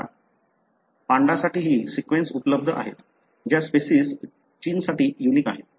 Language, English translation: Marathi, There are now sequence available even for panda the, the species that is so unique to China